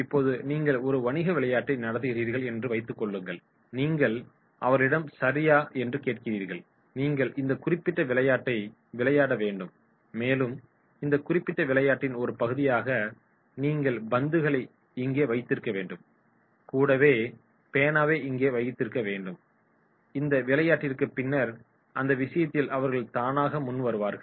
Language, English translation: Tamil, Now suppose you are conducting a business game and you ask them okay, you have to play this particular game and for this playing particular game you have to keep the balls here, you have to keep the pen here, you have to keep this particular part of the game here and then in that case voluntarily they are coming forward